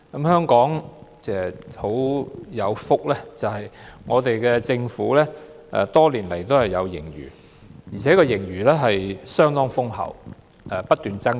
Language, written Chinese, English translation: Cantonese, 香港很有福，政府多年來也有盈餘，而且盈餘相當豐厚，不斷增加。, Hong Kong is so blessed in that over the years the Government has enjoyed a handsome surplus which keeps growing